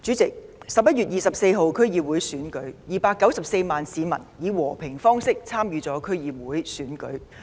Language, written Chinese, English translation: Cantonese, 主席 ，11 月24日 ，294 萬市民以和平方式參與區議會選舉。, President on 24 November 2.94 million citizens participated in the District Council Election peacefully